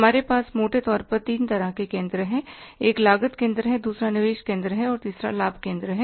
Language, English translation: Hindi, One is the cost center, second is the investment center and third one is the profit center